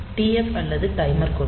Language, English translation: Tamil, So, that TF or the timer flag